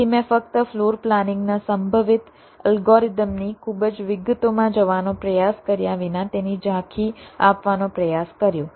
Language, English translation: Gujarati, so i just tried to give an overview regarding the possible floor planning algorithms without trying to go into the very details of them